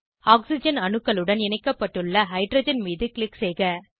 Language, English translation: Tamil, Click on the hydrogen attached to oxygen atoms